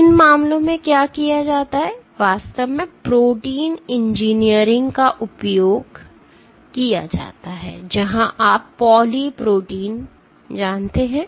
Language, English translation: Hindi, So, what is done in these cases is actually using protein engineering, where you make you know poly protein